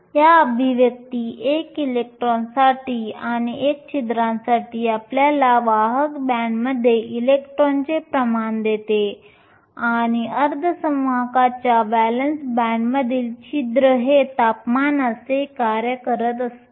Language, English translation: Marathi, These expressions one for electrons and one for holes give you the concentration of electrons in the conduction band and holes in the valence band for a given semiconductor as a function of temperature